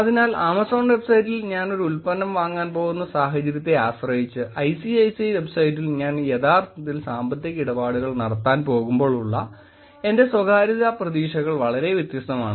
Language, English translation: Malayalam, So, depending on the situation which is I’m going to buy a product on Amazon website, my privacy expectations are very different versus when I am actually going to do financial transactions on ICICI website